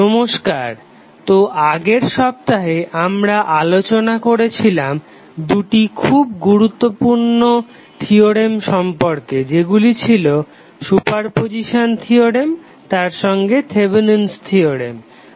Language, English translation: Bengali, So, in the last week we discussed about two very important theorems those were superposition theorem as well as Thevenin's theorem